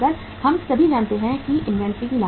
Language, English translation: Hindi, We all know what are the inventory costs